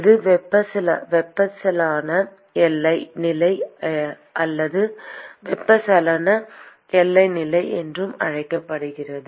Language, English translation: Tamil, It is also called as convective boundary condition or convection boundary condition